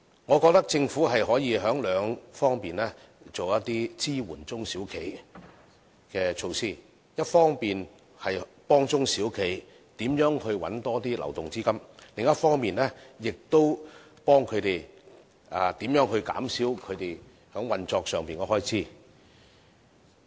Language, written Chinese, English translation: Cantonese, 我覺得政府可從兩方面進行一些支援小企的措施，一方面幫助中小企找尋更多流動資金；另一方面，亦幫助中小企減少運作上的開支。, I think the Government can carry out some SME supportive measures in two aspects . Firstly it can help boost the liquidity of SMEs; and secondly it can help SMEs reduce operating cost